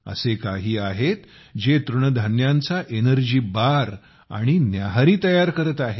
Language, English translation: Marathi, There are some who are making Millet Energy Bars, and Millet Breakfasts